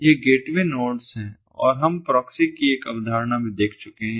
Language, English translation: Hindi, these are the gateway nodes and also we have seen that there is a concept of proxy